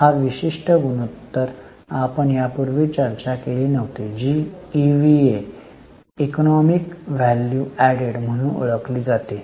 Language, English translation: Marathi, This particular ratio we had not discussed earlier that is known as EVA, economic value added